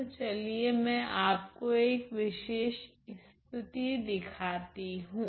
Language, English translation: Hindi, So, let me just show you one particular case